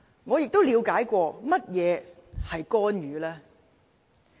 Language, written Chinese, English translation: Cantonese, 我嘗試了解過何謂干預。, I have tried to understand what interference means